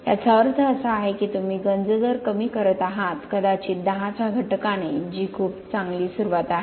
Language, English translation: Marathi, It means that you are reducing the corrosion rate by possibly a factor of 10 which is a very good start